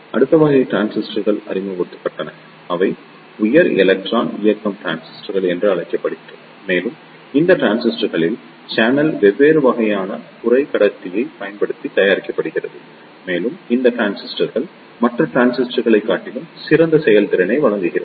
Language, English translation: Tamil, So, the next type of transistors were introduced that are known as high electron mobility transistors and in these transistors the channel is made using different type of semiconductor and these transistors provides the better performance over the other transistors